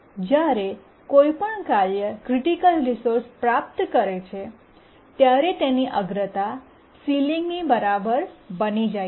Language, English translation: Gujarati, And whenever a task acquires a resource, a critical resource, its priority becomes equal to the ceiling